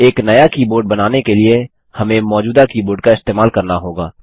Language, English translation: Hindi, To create a new keyboard, we have to use an existing keyboard